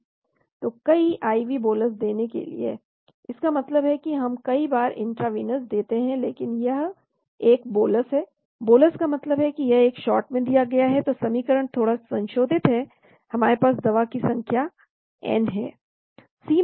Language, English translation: Hindi, So for multiple IV bolus administration, that means we give intravenous many times but it is a bolus, bolus means it is given in one shot , so the equation is slightly modified, we have n is the number of administration